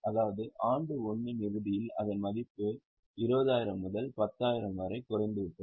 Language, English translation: Tamil, That means at the end of year one, its value is down from 20,000 to 10,000